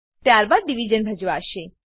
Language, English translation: Gujarati, Then division is performed